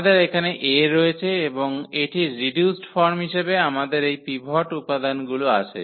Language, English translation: Bengali, So, we have this A here and its reduced form we have these pivot elements